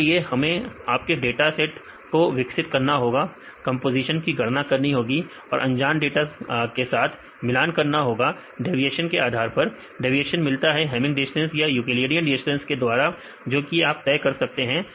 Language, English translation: Hindi, For this we need to develop your data set and calculate the composition and compare with the unknown ones and based on the deviation; deviation obtained from the hamming distance or the euclidean distance and you can decide